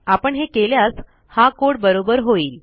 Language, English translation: Marathi, If we do this, this is still a valid code